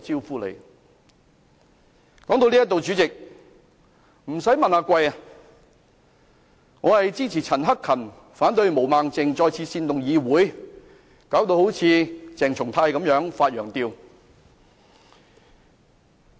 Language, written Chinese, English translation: Cantonese, "說在這裏，主席，不用問，我是支持陳克勤議員，反對毛孟靜議員再次煽動議會，弄得好像鄭松泰議員般"發羊吊"。, Thats the way I had to survive in the past . Having talked this far President you need not ask me for my conclusion . I support Mr CHAN Hak - kans motion and oppose Ms Claudia MOs motion which once again tries to incite this Council making Members like Dr CHENG Chung - tai speak like having an epileptic fit